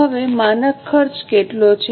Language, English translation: Gujarati, Now, what is a standard cost